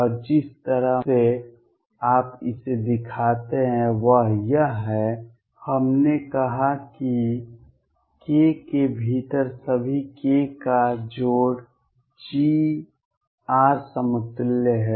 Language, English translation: Hindi, And the way you show it is since we said that all k’s within k plus g r equivalent